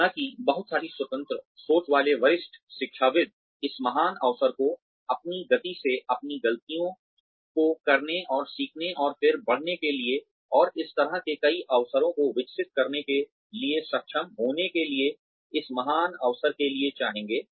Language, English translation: Hindi, Though, a lot of independent thinking senior academicians, would like to have this great opportunity, of being able to do things, at their own pace, make their own mistakes, and learn, and then grow, and have so many opportunities to grow